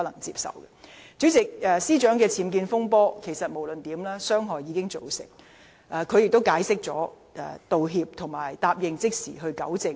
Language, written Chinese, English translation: Cantonese, 主席，司長的僭建風波既已造成傷害，她亦已作出解釋、道歉及承諾即時糾正。, President the damage has been done by the Secretary for Justices UBWs controversy . She has also offered an explanation and apology and has pledged to make immediate rectifications